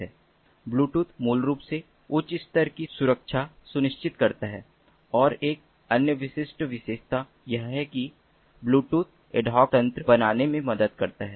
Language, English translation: Hindi, bluetooth basically ensures high level of security, and another very distinctive feature is that bluetooth helps in forming ad hoc networks